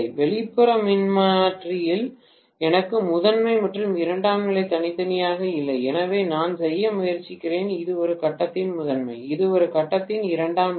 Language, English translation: Tamil, In an outer transformer I do not have primary and secondary separately, so what I am trying to do is this is the primary of A phase, this is the secondary of A phase